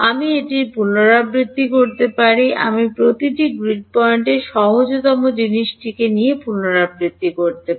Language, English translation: Bengali, I can repeat this at, I can repeat this at every grid point easiest thing